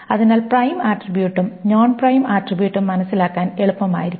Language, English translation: Malayalam, So prime attribute or non prime attribute should be easy to understand